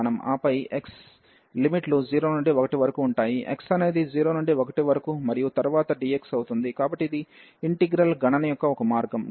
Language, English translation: Telugu, And then the x limits will be from 0 to 1, so then x from 0 to 1 and then the dx, so that is the one way of computing the integral